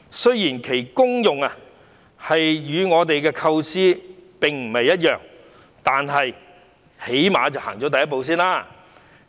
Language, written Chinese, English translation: Cantonese, 雖然其功用與我們的構思並不一樣，但最低限度走出了第一步。, Although the function of the card deviates a little from our design this is at least the first step forward